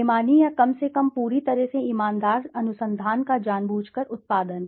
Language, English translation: Hindi, Deliberate production of dishonest or less than completely honest research